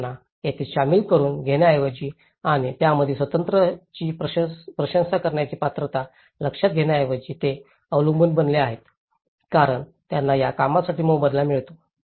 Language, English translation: Marathi, So, here, instead of making them involved and realize the self esteem character of it, here, they have become dependent because they are getting paid for that own work